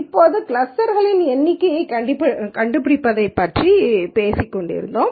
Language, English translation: Tamil, Now, we kept talking about finding the number of clusters